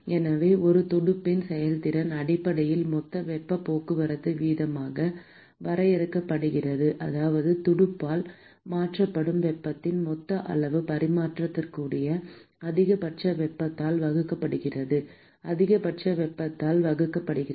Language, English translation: Tamil, So, therefore, the efficiency of a fin is basically defined as the total heat transport rate, that is the total amount of heat that is transferred by the fin divided by the maximum possible heat that can be transferred divided by the maximum possible heat that can be transferred by the same fin